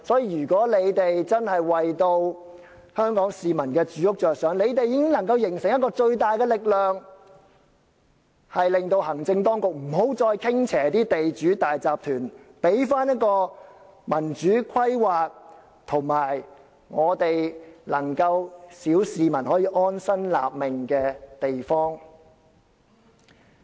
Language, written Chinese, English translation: Cantonese, 如果他們真的為香港市民的住屋着想，他們已經能夠形成一股最大的力量，令行政當局不再向地主和大集團傾斜，還我們一個有民主規劃而小市民可以安身立命的地方。, If they are really concerned about Hong Kong peoples housing needs they can form a formidable force to stop the authorities from tilting in favour of landlords and consortia and give us back a place where democratic planning is possible and the general public can find a cosy home